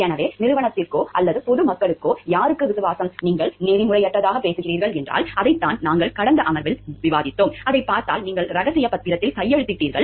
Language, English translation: Tamil, So, loyalty to whom to the company or to the public at large, if you are talking of , because that is what we were discussing in the last, last session that if you see that your, you have signed a bond of confidentiality of, signed a bond of maintaining secrecy of your information